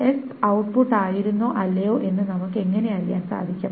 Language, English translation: Malayalam, How do we know that S has been output or not